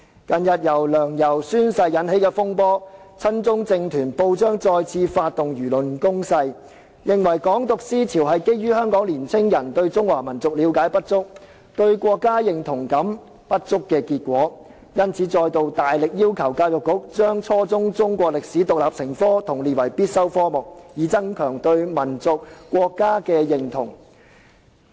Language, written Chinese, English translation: Cantonese, 近日由梁、游宣誓引起的風波，導致親中政團及報章再次發動輿論攻勢，認為"港獨"思潮是基於香港青年人對中華民族了解不足、對國家認同感不足，因而再度大力要求教育局規定初中中史獨立成科和將之列為必修科目，以增強對民族和國家的認同。, The recent saga arising from the oath - taking of Sixtus LEUNG and YAU Wai - ching has resulted in another round of attack launched by pro - Chinese political groups and the press stating that the Hong Kong independence ideology was attributed to young peoples lack of understanding of the Chinese nation as well as their lack of national identification with the country . Therefore the Education Bureau is again strongly urged to require the teaching of Chinese history as an independent subject at junior secondary level and make the subject compulsory so as to enhance peoples sense of identification with the nation and the country